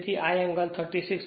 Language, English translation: Gujarati, So, this is the angle right so, it will be 36